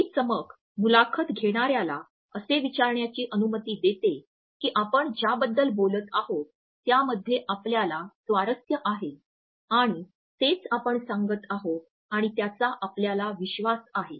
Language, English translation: Marathi, This shine and a sparkle allows the interviewer to think that what you are talking about is actually an aspect in which you are interested and at the same time you are revealing and information of which you are proud